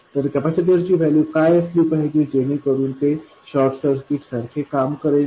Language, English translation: Marathi, So let's see what the capacitor values must be so that they do behave like short circuits